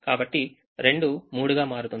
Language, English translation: Telugu, so two becomes three